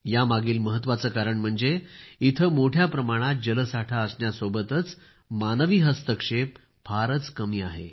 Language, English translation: Marathi, The most important reason for this is that here, there is better water conservation along with very little human interference